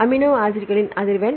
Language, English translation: Tamil, frequency of amino acids